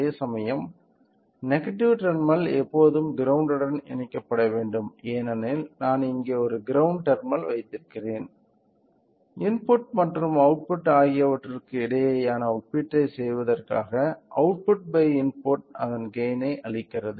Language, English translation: Tamil, So, whereas, the negative terminal should always be connected to the ground so, since I have a ground terminal here I am connecting it there; then in order to do the comparison between input and output, and the difference you know that the output by input gives a gain of it